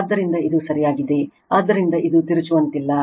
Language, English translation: Kannada, So, this is correct, therefore this is not twisting